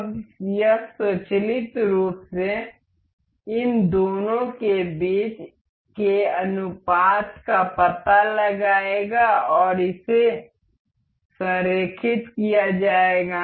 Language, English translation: Hindi, Now, it will automatically detect the ratio between these two and we it is aligned